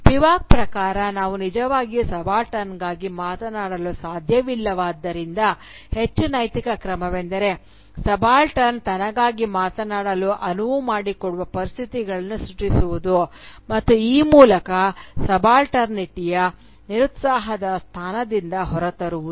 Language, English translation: Kannada, According to Spivak, since we cannot really speak for the subaltern, the more ethical move would be to create enabling conditions for the subaltern to speak for herself, and thereby come out of the disempowered position of subalternity